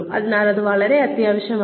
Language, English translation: Malayalam, So, it is very essential